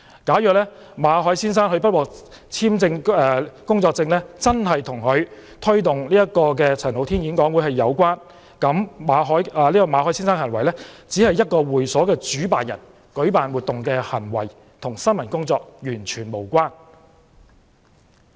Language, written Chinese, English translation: Cantonese, 假如馬凱先生不獲續簽工作簽證真的與他推動陳浩天演講會有關，也只是基於他以會所主辦人身份舉辦活動的行為，與新聞工作完全無關。, Even if the refusal to renew the work visa of Mr MALLET was really related to his facilitation of Andy CHANs talk it was only related to his hosting of the event as a leader of FCC and was not related to news reporting at all